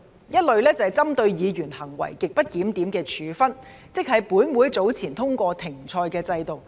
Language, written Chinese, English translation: Cantonese, 一類是針對議員行為極不檢點的處分，即是本會早前通過"停賽"的制度。, The first category is a sanction against the grossly disorderly conduct of Members that is the suspension mechanism passed by this Council previously